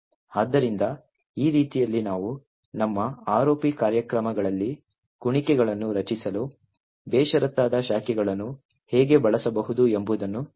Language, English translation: Kannada, So, in this way we show how we can use unconditional branching to create loops in our ROP programs